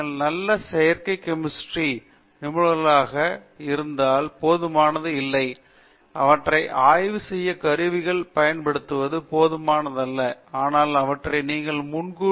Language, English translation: Tamil, It is not enough if you are very good synthetic chemists, if it is not enough you can to make use of the tools to analyze them, but you should also be able to predict them